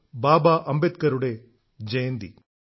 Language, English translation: Malayalam, Baba Saheb Ambedkar ji